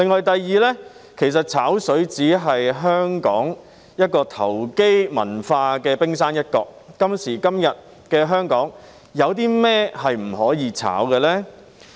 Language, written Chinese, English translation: Cantonese, 第二，其實"炒水"只是香港投機文化的冰山一角，今時今日的香港，有甚麼不能"炒"呢？, Secondly in fact overcharging for the use of water is just the tip of the iceberg in the speculative culture of Hong Kong . In Hong Kong nowadays what else cannot be speculated?